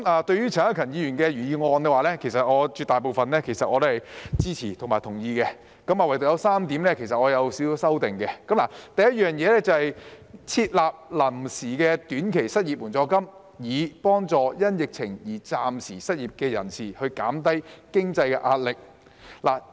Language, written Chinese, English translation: Cantonese, 對於陳克勤議員的原議案，絕大部分我是支持及同意的，但對於當中有3點，我有少許修訂：第一是建議"設立臨時的短期失業援助金，以幫助因疫情而暫時失業的人士減輕經濟壓力"。, As regards Mr CHAN Hak - kans original motion I support and agree with to most of it . But I would like to make some slight changes to three points therein . The first one is establishing an interim short - term unemployment assistance to help alleviate the financial pressure of the temporarily unemployed due to the epidemic